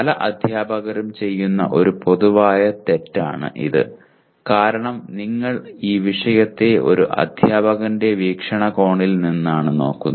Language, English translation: Malayalam, This is again a kind of a common mistake that is done by several teachers because you look at the subject from a teacher perspective in the sense that I need to teach